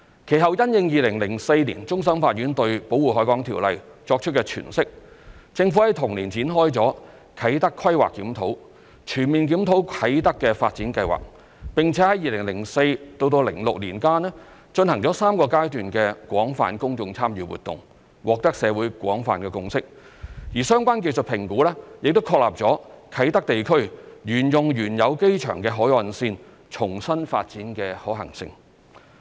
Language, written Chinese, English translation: Cantonese, 其後，因應2004年終審法院對《條例》作出的詮釋，政府於同年展開"啟德規劃檢討"，全面檢討啟德發展計劃，並於2004年至2006年間進行3個階段的廣泛公眾參與活動，獲得社會廣泛共識，而相關技術評估亦確立了啟德地區沿用原有機場的海岸線重新發展的可行性。, Subsequently in response to the interpretation made by the Court of Final Appeal concerning the Ordinance in 2004 the Government commissioned the Kai Tak Planning Review in the same year to comprehensively review the Kai Tak Development . And it conducted three stages of extensive public engagement from 2004 to 2006 and reached a broad consensus in society . The relevant technical assessment confirmed the feasibility of redevelopment along the shoreline of the former airport in Kai Tak area